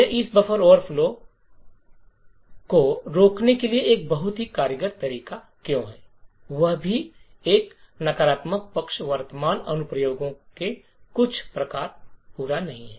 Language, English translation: Hindi, Therefore, why this is a very efficient way to prevent this buffer overflow attacks, there is also, a downside present the certain types of applications do not complete